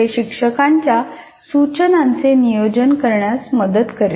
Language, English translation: Marathi, And that kind of thing will help the teacher in planning the instruction